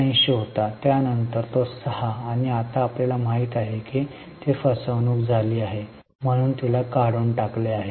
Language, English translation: Marathi, 79, then 6, and now you know that she is held up in a fraud, so she has been removed